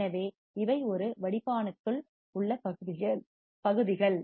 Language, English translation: Tamil, So, these are the regions within a filter